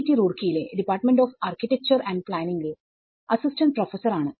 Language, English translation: Malayalam, I am an assistant professor in Department of Architecture and Planning, IIT Roorkee